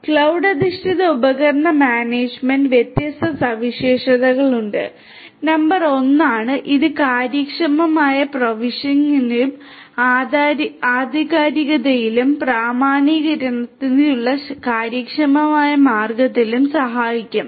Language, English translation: Malayalam, Cloud based device management has different features; number 1 is, it is going to help in efficient, provisioning; provisioning and authentication, efficient way of doing it authentication